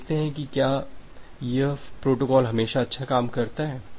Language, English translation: Hindi, Let us see that whether this protocol works good always